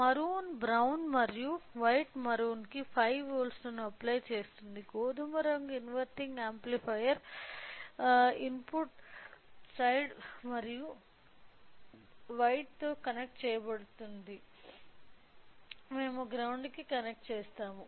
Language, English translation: Telugu, Since maroon brown and white maroon is maroon will apply 5 volts to the maroon, to the brown will connected to the inverting amplifier, input side and to the white we will connected to the ground